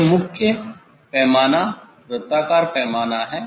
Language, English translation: Hindi, this is the main scale circular scale